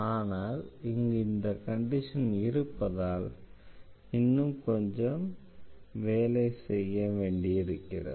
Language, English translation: Tamil, But here this condition is given; that means, we have to do little more here